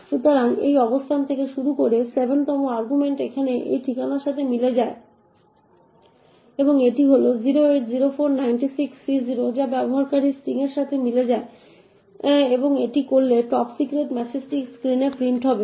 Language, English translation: Bengali, So, starting from this location the 7th argument corresponds to this address here and this is 080496C0 which corresponds to the user string and doing this the top secret message would get printed on the screen